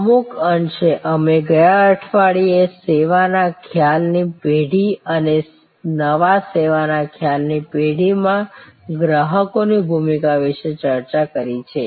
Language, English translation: Gujarati, To some extent we have discussed about the service concept generation and the role of the customer in new service concept generation, last week